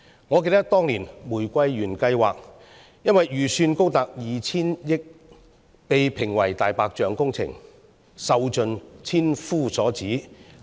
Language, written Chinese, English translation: Cantonese, 我記得，當年的"玫瑰園計劃"由於預算高達 2,000 億元，被抨擊為"大白象"工程，受盡千夫所指。, I remember that the Rose Garden Project proposed years ago was widely slammed as a white elephant project because of its huge 200 billion budget